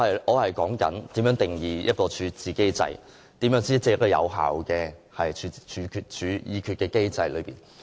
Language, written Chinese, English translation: Cantonese, 我正在說如何定義一個處置機制，如何才是有效的處置機制。, I was talking about how to define a resolution regime and what constitutes an effective resolution regime